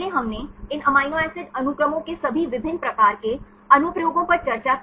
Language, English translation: Hindi, Earlier we discussed all different types of applications of these amino acid sequences